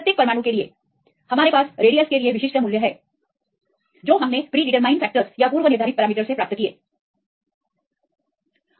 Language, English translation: Hindi, So, for each atom; so, we have these specific values for the radius and well depth the predetermined parameters